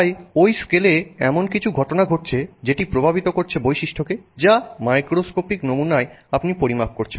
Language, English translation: Bengali, So, and so there's some phenomenon occurring at that scale which then reflects in the property that you are measuring in this macroscopic sample